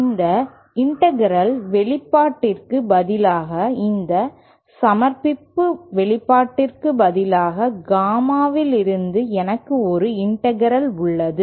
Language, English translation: Tamil, Instead of this integral expression, instead of this submission expression I have an integral from Gamma in